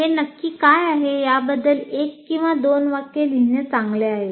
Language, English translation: Marathi, It is always good to write one or two sentences saying what the course is all about